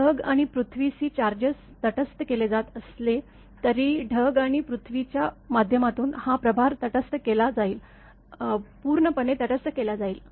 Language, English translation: Marathi, Even though the cloud and earth charges are neutralized because when like this lightning stroke has happened; that charge through the cloud and earth will be neutralized; totally neutralized